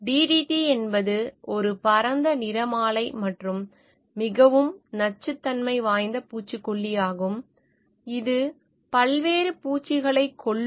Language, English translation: Tamil, DDT is a broad spectrum and highly toxic insecticide that kills a variety of insects